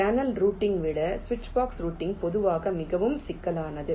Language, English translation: Tamil, switchbox routing is typically more complex than channel routing and for a switchbox